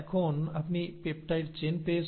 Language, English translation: Bengali, Now you have got a peptide chain